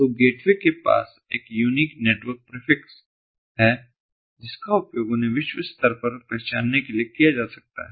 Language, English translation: Hindi, so the gateway has a unique network prefix which can be used to identify them globally